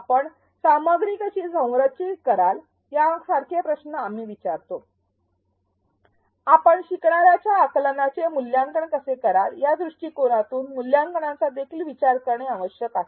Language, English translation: Marathi, We ask questions like how will you structure the content, how will you assess learners understanding; assessment also needs to be thought of right from this point